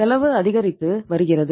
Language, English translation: Tamil, The cost is increasing